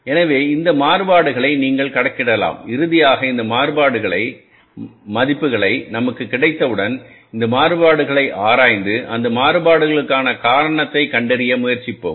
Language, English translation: Tamil, So, either way you can calculate these variances and finally once we have these values of the variances with us we will analyze these variances and try to find out the reasons for those variances